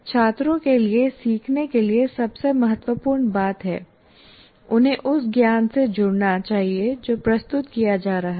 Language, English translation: Hindi, And also, most important thing is for students to learn, they should engage with the knowledge that is being present